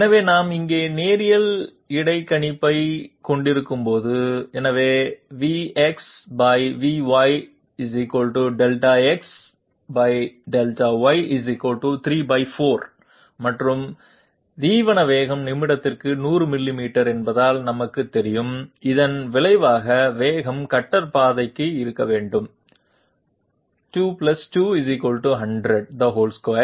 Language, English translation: Tamil, So as we are having linear interpolation here, so V x by V y = Delta x by Delta y that means it is equal to 30 by 40, so three fourth and we also know since the feed velocity is 100 millimeters per minute therefore, the resultant velocity along the cutter path must be V x square + V y square root over = 100